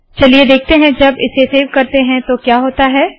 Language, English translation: Hindi, Lets see what happens when I save this